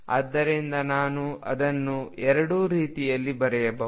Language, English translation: Kannada, So, I can write it either way